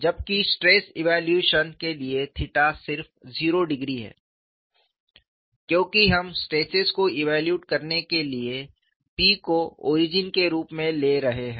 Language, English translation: Hindi, So, theta turns out to be pi, whereas for the evaluation of stress theta is just 0 degrees, because we are taking P as the origin for evaluating the stresses